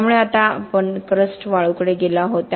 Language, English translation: Marathi, So now we have moved to crust sands